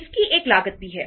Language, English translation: Hindi, It also has a cost